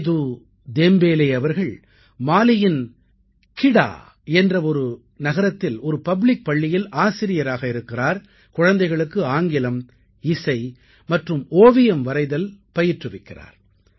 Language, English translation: Tamil, Sedu Dembele, is a teacher in a public school in Kita, a town in Mali, and teaches English, Music, Painting, and drawing